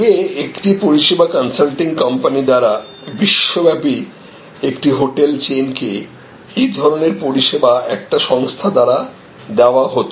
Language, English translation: Bengali, Now, these sort of array of services earlier from a service consulting company to say a hotel chain across the world would have been delivered by sort of a one organization